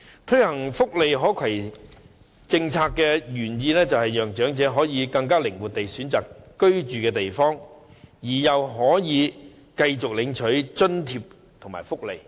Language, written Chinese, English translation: Cantonese, 推行福利可攜政策的原意，是讓長者更靈活地選擇居住地方，又可以繼續領取津貼及福利。, The intention of implementing portability arrangements for welfare benefits is to enable elderly people to choose their living place more flexibly while also continuing to receive subsidies and welfare benefits